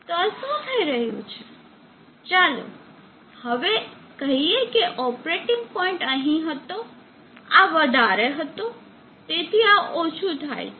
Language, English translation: Gujarati, So what is happing, now let us say that the operating point was here, this was high, so this becomes low